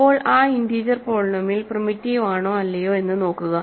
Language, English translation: Malayalam, Now, see if that integer polynomial is primitive or not